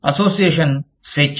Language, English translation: Telugu, Freedom of association